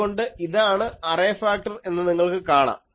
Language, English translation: Malayalam, So, you see this is the array factor